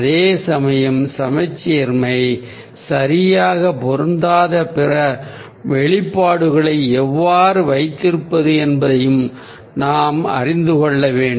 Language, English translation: Tamil, we need to also know how to have other expressions where symmetry doesn't fit in very properly, like